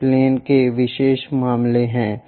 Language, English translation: Hindi, These are the special cases of the planes